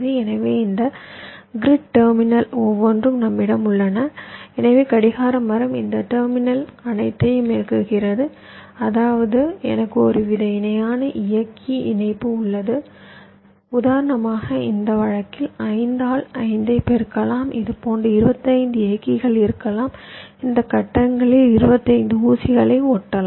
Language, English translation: Tamil, so each of these grid terminals that we have, so the clock tree is driving these terminals, all of them, which means i have some kind of a parallel driver connection there can be, for example, in this case, five by five, there can be twenty five such drivers driving twenty five pins in this grids